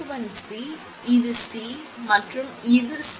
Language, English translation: Tamil, 1 C and this is C and this is C